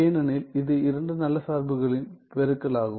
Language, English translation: Tamil, Because, its a product of two good functions ok